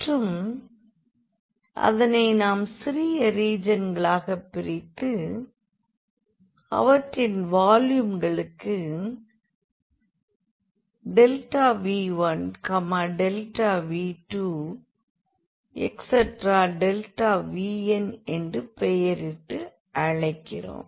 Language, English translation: Tamil, So, we will divide that region into n sub regions and we call the volume of these sub regions by this delta V 1 delta V 2 delta V n